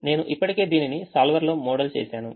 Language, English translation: Telugu, i have already modelled it to the solver